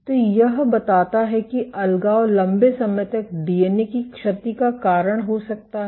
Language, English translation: Hindi, So, this suggests that this segregation can be a cause of DNA damage long term